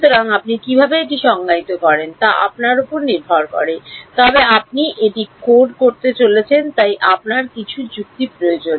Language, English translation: Bengali, So, up to you how do you defining it, but you because you are going to code it, you need some logic right